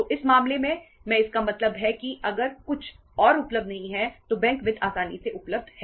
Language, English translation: Hindi, So in this case means if nothing else is available bank finance is easily available